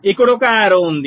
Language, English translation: Telugu, there is an arrow here, there is an arrow here